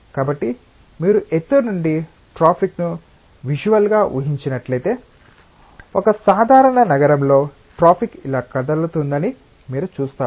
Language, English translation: Telugu, So, if you visualise the traffic from altitude you will see that the traffic in a typical city will be moving like this